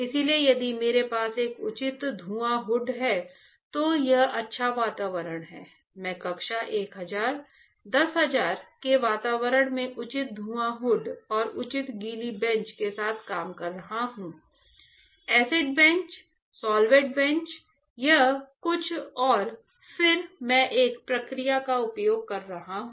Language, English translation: Hindi, So, if I have a proper fume hood a good environment everything is perfect, I am working in an a class 1000 10000 environment with the proper fume hood and proper wet benches right; acid bench, solvent bench everything and then I am using a process